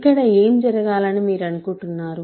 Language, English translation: Telugu, What you think it should happen